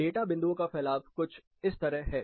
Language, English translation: Hindi, This is how the spread of data points is